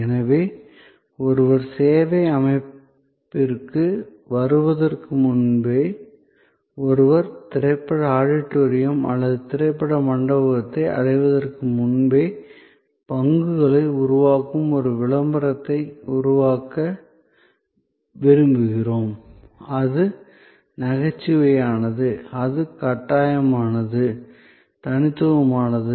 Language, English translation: Tamil, But, even before one comes to the service setting, even before one reaches the movie auditorium or movie hall, we would like to create a advertising that generate stock; that is humorous; that is compelling, unique